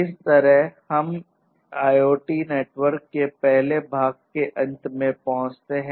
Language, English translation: Hindi, So, with this we come to an end of the first part of IoT networks